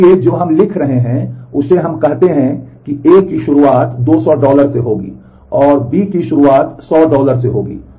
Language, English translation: Hindi, So, in the write we are saying, that let us say that A starts with 200 dollar, and B at the beginning is 100 dollar